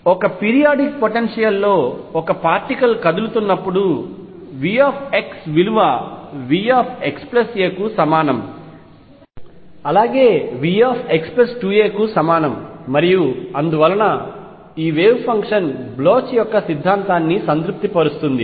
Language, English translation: Telugu, So, conclusion when a particle is moving in a periodic potential, V x equals V x plus a is equal to V x plus 2 a and so on, it is wave function satisfies the Bloch’s theorem